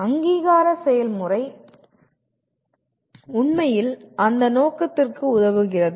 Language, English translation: Tamil, And the process of accreditation really serves that purpose